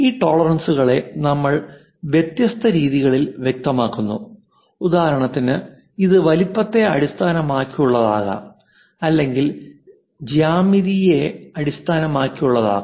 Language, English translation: Malayalam, These tolerances we specify it in different ways for example, it can be based on size it can be based on geometry also